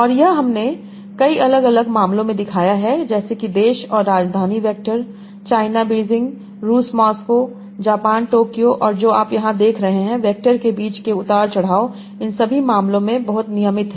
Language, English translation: Hindi, And this has been shown in many different cases like country and capital vectors, China, Beijing, Russia, Moscow, Japan, Tokyo, and what you are seeing here, the offset between the vectors are very, very regular in all these cases